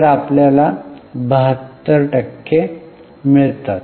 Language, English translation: Marathi, So, I'm 72%